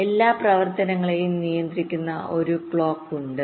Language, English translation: Malayalam, there is a clock which controls all operations